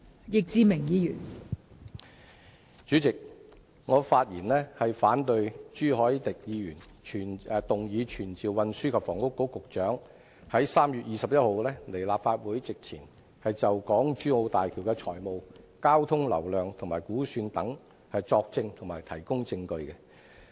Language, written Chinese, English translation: Cantonese, 代理主席，我發言反對朱凱廸議員動議本會傳召運輸及房屋局局長於3月21日到立法會席前，就港珠澳大橋工程的財務情況、交通流量估算等作證及提供證據。, Deputy President I rise to speak against the motion moved by Mr CHU Hoi - dick to summon the Secretary for Transport and Housing to attend before the Council on 21 March to testify and give evidence on the financial condition traffic throughput estimation and so on of the Hong Kong - Zhuhai - Macao Bridge HZMB